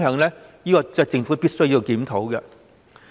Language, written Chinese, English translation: Cantonese, 這是政府必須檢討的。, And the Government must face itself squarely on this